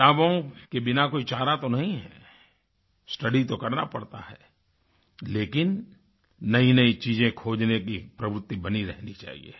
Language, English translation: Hindi, There is no alternative to books, one has to study, yet one's bent of mind should be towards discovering new things